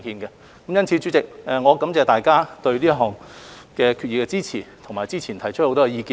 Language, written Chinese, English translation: Cantonese, 因此，主席，我感謝大家對這項決議案的支持，以及早前提出的很多意見。, President I thank Members for supporting this resolution and providing many opinions earlier on